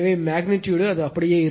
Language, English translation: Tamil, So, magnitude it will remain same , right